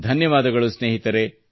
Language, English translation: Kannada, Thanks a lot my friends, Thank You